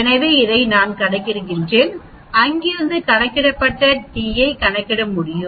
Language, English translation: Tamil, So, I calculate this, from there I can calculate the t calculated so it is comes out to be minus 1